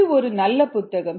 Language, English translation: Tamil, this is a good book